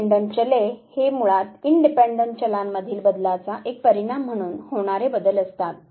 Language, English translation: Marathi, Dependent variables are basically the changes that take place as a consequence of changes in the independent variable